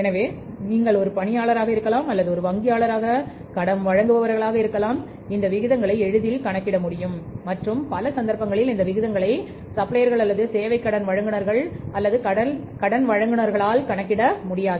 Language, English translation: Tamil, So you may be as employee, maybe as a supplier or maybe as a lender as a banker easily can calculate these ratios and in many cases these ratios are not to be calculated by the suppliers or the service renters or by the say lenders